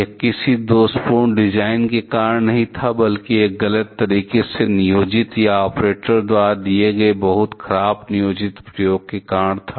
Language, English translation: Hindi, It was not because of any faulty design, rather it was because of wrongly planned or very poorly planned experiment done by the operators